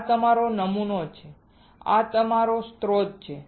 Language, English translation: Gujarati, This is our sample, this is our source